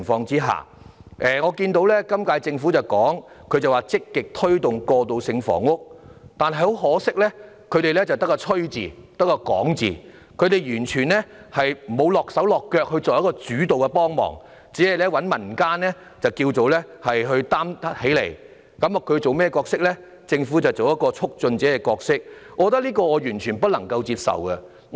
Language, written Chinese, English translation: Cantonese, 我看到本屆政府指出要積極推動過渡性房屋，但很可惜只會"吹"、只會"講"，完全沒有親力親為作主導性的幫忙，只找民間團體挑起擔子，而政府則只擔當促進者的角色，我認為這是完全不能接受的。, The current term of Government has pointed out that transitional housing has to be promoted proactively unfortunately it is just boasting and only talking without directly taking up a leading role to help only seeking non - government organizations to shoulder the responsibility while the Government serves solely as a promoter . I consider it totally unacceptable